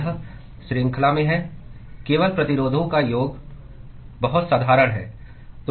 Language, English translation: Hindi, It is in series, just sum of the resistances very trivial